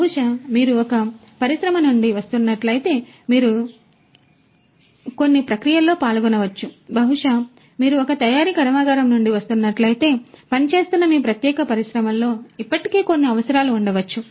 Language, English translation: Telugu, Maybe if you are coming from an industry, you might yourself be involved in certain processes, maybe if you are coming from a manufacturing plant, there might be certain requirements that might be already there in your particular industry in which you are serving